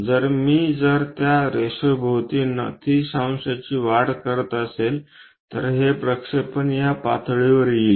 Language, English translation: Marathi, So, if I am making that fold by 90 degrees around this line, then this projection comes to this level